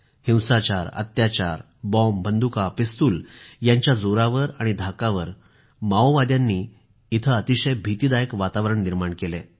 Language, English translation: Marathi, Violence, torture, explosives, guns, pistols… the Maoists have created a scary reign of terror